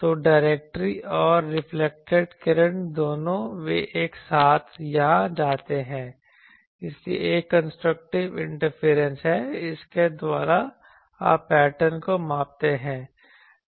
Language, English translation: Hindi, So, designed that both the directory and the reflected ray they go here simultaneously; so there is a construction a thing constructive interference and by that you measure the pattern